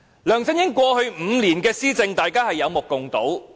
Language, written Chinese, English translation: Cantonese, 梁振英過去5年的施政，大家有目共睹。, What LEUNG Chun - ying has done in his governance during the past five years should be obvious to all